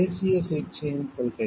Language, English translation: Tamil, Principle of national treatment